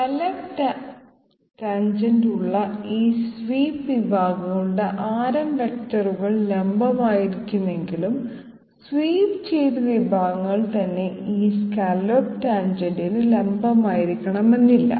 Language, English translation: Malayalam, While the radius vectors of those swept sections with the scallop tangent will be perpendicular, the swept sections themselves do not have to be perpendicular to this scallop tangent